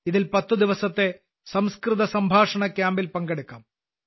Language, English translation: Malayalam, In this you can participate in a 10 day 'Sanskrit Conversation Camp'